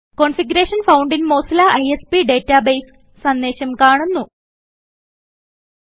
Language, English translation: Malayalam, The message Configuration found in Mozilla ISP database appears